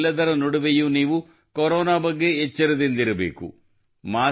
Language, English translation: Kannada, In the midst of all this, you also have to be alert of Corona